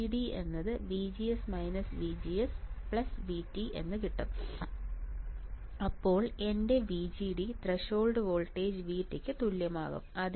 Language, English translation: Malayalam, So, VGD a is equal to VGS minus VGS plus V T this gone VGD is nothing, but my threshold voltage V T